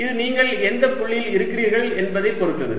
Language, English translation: Tamil, it depends on what point you are at